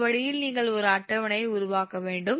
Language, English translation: Tamil, this way you have to make a table